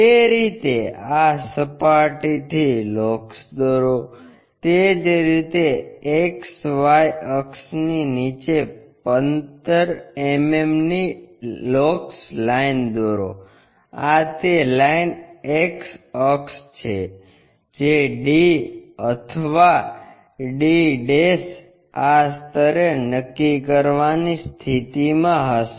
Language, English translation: Gujarati, Draw locus from these planes in that way, similarly draw 15 mm locus line below XY axis, this is the line axis will be in a position to locate and d or d' will be at this levels